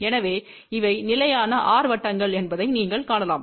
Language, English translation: Tamil, So, you can see that these are the constant r circle